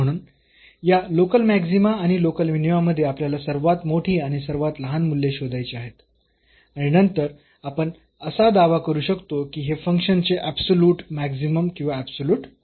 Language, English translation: Marathi, So, among all these local maximas a local maxima and minima we have to find the largest the smallest values and then we can claim that this is the absolute maximum or the absolute minimum or the a function